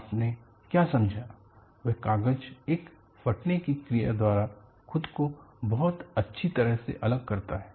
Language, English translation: Hindi, What you have understood is paper separates itself very well by a tearing action